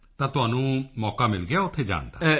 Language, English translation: Punjabi, So you got an opportunity to go there